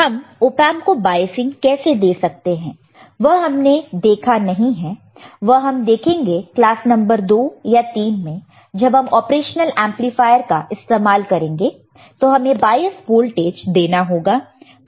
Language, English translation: Hindi, How we can give biasing to this op amp, we have not seen we will see in the class number 2, or we have seen the class number 2 or 3 if I correctly remember, that when we use an operational amplifier, we have to give a bias voltage